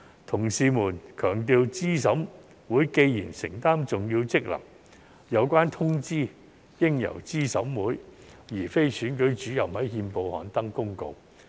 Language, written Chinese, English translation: Cantonese, 同事們強調資審會既承擔重要職能，有關通知應由資審會而非選舉主任在憲報刊登公告。, As my colleagues have emphasized since CERC performs important functions the notice should be published in the Gazette by CERC instead of the Returning Officer